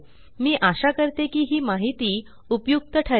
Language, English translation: Marathi, We hope this information was helpful